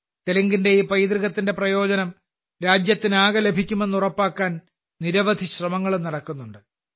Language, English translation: Malayalam, Many efforts are also being made to ensure that the whole country gets the benefit of this heritage of Telugu